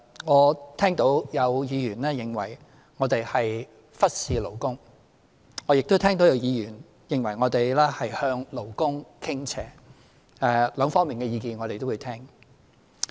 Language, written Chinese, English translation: Cantonese, 我聽到有議員認為我們忽視勞工，我亦聽到有議員認為我們向勞工傾斜，兩方面的意見我們也會聽。, I heard some Members say that we were neglecting labour interests but I also heard some Members say that we favoured employees . We will listen to the views of both sides